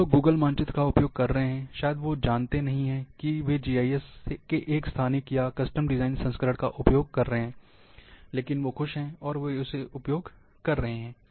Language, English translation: Hindi, The people, those who are using Google map, may not know, that they are using a spatial or custom design version of GIS, but they are happy, they are using